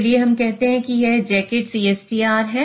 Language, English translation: Hindi, Let's say a jacketed CSTR